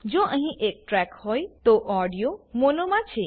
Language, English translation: Gujarati, If there is only one track, then the audio is in MONO